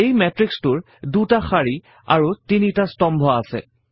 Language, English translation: Assamese, This matrix has 2 rows and 3 columns